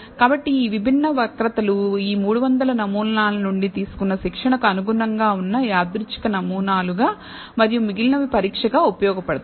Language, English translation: Telugu, So, these different curves correspond to different random samples taken from this 300 thing as training and the remaining is used as testing